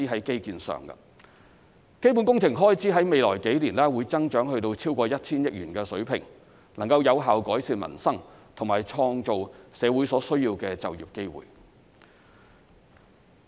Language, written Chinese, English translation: Cantonese, 基本工程開支在未來數年會增長至超過 1,000 億元水平，能夠有效改善民生和創造社會所需的就業機會。, Capital works expenditure will increase to a level exceeding 100 billion in the next few years which will effectively improve peoples livelihood and create the employment opportunities needed in society